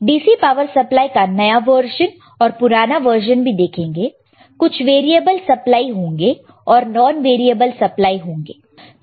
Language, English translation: Hindi, What are the newer version of DC power supply, what are the older version of DC power supply, it is variable not variable we will see this kind of things anyway